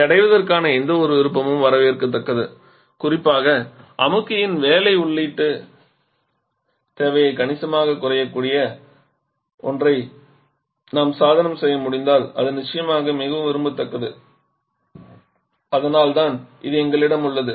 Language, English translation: Tamil, And any option of achieving that is welcome and a particular if we can device something where the work input requirement for the compressor can be substantially reduce that is definitely very much desirable and that is why we have this ammonia and water written here